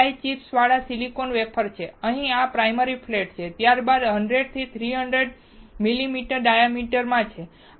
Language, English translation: Gujarati, This is the silicon wafer with die chips, this is the primary flat here, then there are 100 to 300 millimetre in diameter